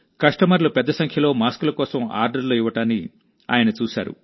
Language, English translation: Telugu, He saw that customers were placing orders for masks in large numbers